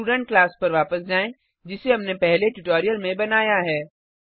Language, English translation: Hindi, Let us go back to the Student class which we have already created in the earlier tutorial